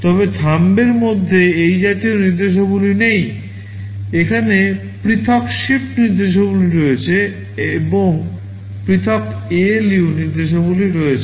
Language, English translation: Bengali, But in Thumb such instructions are not there, here there are separate shift instructions, and there are separate ALU instructions